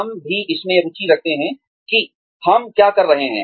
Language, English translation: Hindi, We are also interested in, what we are doing